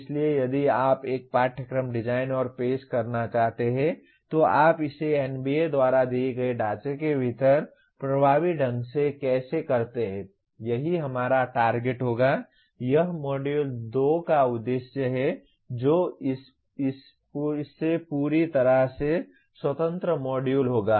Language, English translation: Hindi, So if you want to design and offer a course, how do you do it effectively within the framework given by NBA, that will be our goal for, that is the aim of Module 2 which will be a completely independent module than this